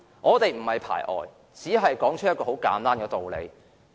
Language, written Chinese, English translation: Cantonese, 我們並非排外，只是說出一個簡單的事實。, We are not xenophobic . We just state a simple truth